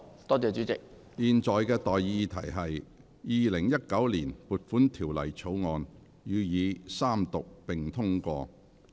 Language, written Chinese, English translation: Cantonese, 我現在向各位提出的待議議題是：《2019年撥款條例草案》予以三讀並通過。, I now propose the question to you and that is That the Appropriation Bill 2019 be read the Third time and do pass